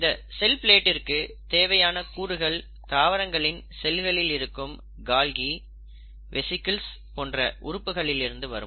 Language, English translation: Tamil, Now this cell plate, the components of the cell plate comes from various organelles like Golgi and the vesicles found within the plant cell